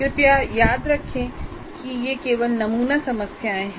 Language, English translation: Hindi, Once again, please remember these are only sample set of problems